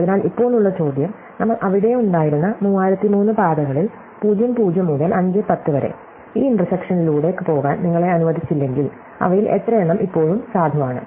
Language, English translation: Malayalam, So, the question now is, out of those 3003 paths that we said were there, from (0, 0) to (5, 10), how many of them are still valid if you are not allowed to go through this intersection